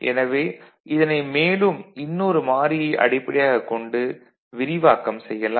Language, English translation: Tamil, So, these again can be expanded for another variable